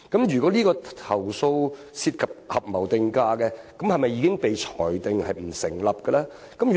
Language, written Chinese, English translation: Cantonese, 如果投訴涉及合謀定價，是否已經裁定這些投訴不成立呢？, Are those complaints alleging collusive price - fixing already found to be unsubstantiated?